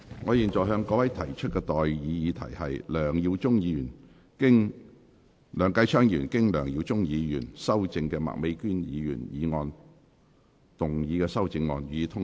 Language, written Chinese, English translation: Cantonese, 我現在向各位提出的待議議題是：梁繼昌議員就經梁耀忠議員修正的麥美娟議員議案動議的修正案，予以通過。, I now propose the question to you and that is That Mr Kenneth LEUNGs amendment to Ms Alice MAKs motion as amended by Mr LEUNG Yiu - chung be passed